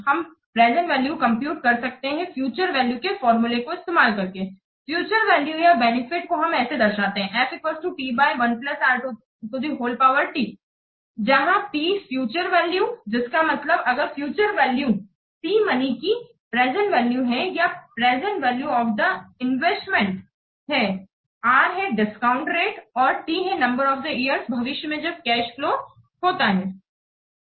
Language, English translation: Hindi, The future value or the benefit can be expressed as p by 1 plus r to the part T where p is the future value, that means F is the future value, P is the present value of the money or the present value of the investment or the discount rate and the t the number of years into the future that the cash flow occurs